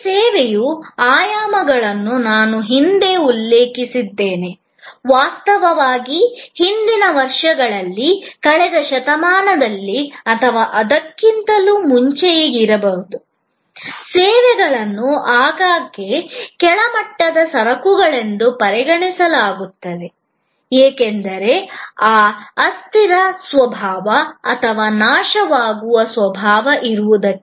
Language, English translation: Kannada, I had mentioned these dimensions of service in passing, in fact, in the earlier years, may be in the last century or earlier, services were often considered as sort of inferior goods, because of that transient nature or perishable nature